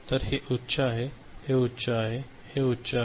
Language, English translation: Marathi, So, this is high, this is high, this is high